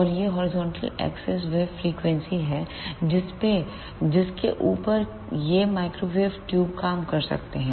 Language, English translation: Hindi, And this horizontal axis is the frequencies over which these microwave tubes can work